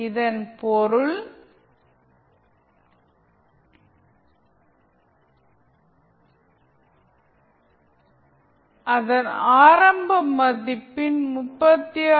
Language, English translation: Tamil, It means that it will decay by 36